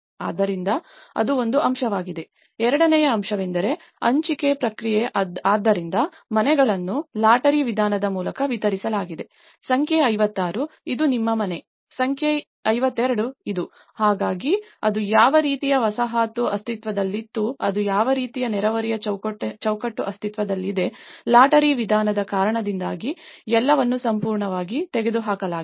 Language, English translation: Kannada, So that is one aspect, the second aspect is allocation process so, the houses are distributed by lottery method like number 56, this is your house, number 52 this is; so despite of what kind of settlement it was existed, what kind of neighbourhood fabric it was existed, it is all completely taken out due to the lottery approach